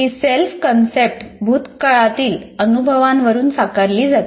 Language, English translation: Marathi, And this self concept is shaped by the past experiences